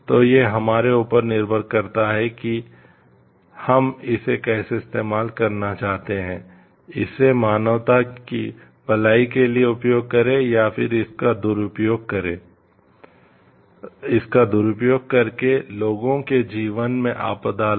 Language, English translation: Hindi, So, it is a point of our choice how we are going to do it, use it for the good of the humanity or misuse it and bring disaster to the life of the people